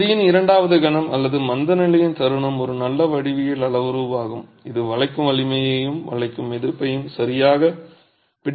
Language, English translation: Tamil, The second moment of area, a moment of inertia is a good geometrical parameter that captures the bending strength, the bending resistance, right